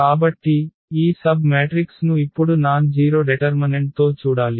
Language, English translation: Telugu, So, we have to see now this submatrix with nonzero determinant